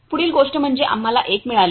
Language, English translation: Marathi, Next thing is we got a